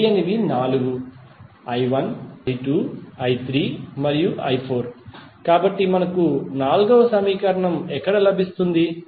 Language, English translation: Telugu, Unknowns are four i 1, i 2 then i 3 and i 4, so where we will get the fourth equation